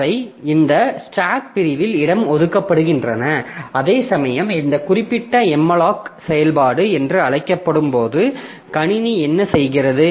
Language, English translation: Tamil, Whereas this when this particular function is called, this malloc function is called, so what the system does